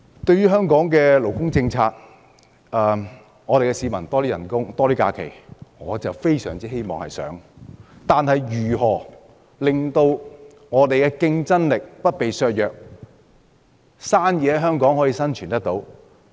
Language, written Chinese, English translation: Cantonese, 對於香港的勞工政策，市民希望有更高薪酬、更多假期，我也非常希望可以這樣，但如何令香港的競爭力不被削弱，在香港營商有生存空間？, I believe he will use most of his time to talk about this area . Regarding the labour policy of Hong Kong people hope that they will have higher wages and more leave days . This is what I also hope for but how will these not weaken our competitiveness so that there is room of survival of for doing businesses in Hong Kong?